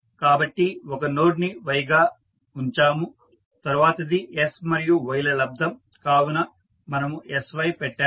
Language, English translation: Telugu, So, we will see y so we have put 1 node as Y then next is s into Ys so we have put sY and so on